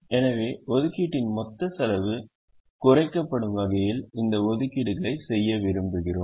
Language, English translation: Tamil, so we want to make these allocations in such a way that the total cost of allocation is minimized